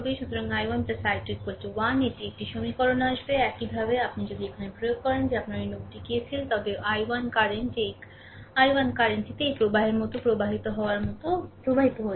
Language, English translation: Bengali, So, i 1 plus i 2 is equal to 1; this is one equation will come, right, similarly, if you apply here that your this node ah that KCL, then i 1 current this i 1 current is flowing like this flowing like this flowing like this